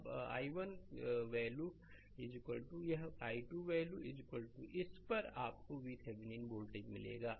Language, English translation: Hindi, Now put i 1 value is equal to this much and i 2 value is equal to this much you will get V Thevenin voltage right